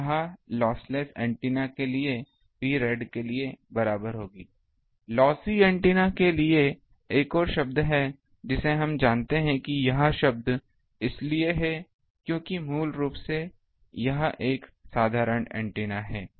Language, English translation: Hindi, So, this will be equal to P rad for loss less antenna, for loss antenna there is another term we know that that term is bes because basically for this is a simple antenna